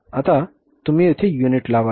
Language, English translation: Marathi, Now we will put the units here